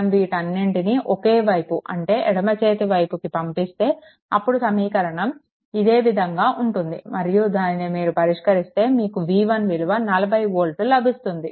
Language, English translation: Telugu, If you bring it to everything to ah 1 side say, right hand side, it will becoming like this same thing, right and solving this you will get v 1 is equal to 40 volt, right